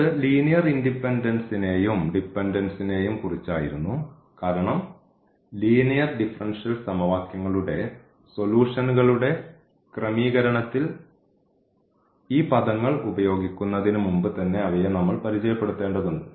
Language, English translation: Malayalam, So, this was about the linear independence and dependence of the functions because we need to introduce before we use these terminology now in the in setting of the solutions of linear differential equations